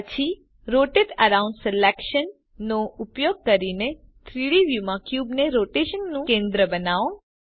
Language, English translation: Gujarati, Then, using Rotate around selection, make the cube the centre of rotation in the 3D view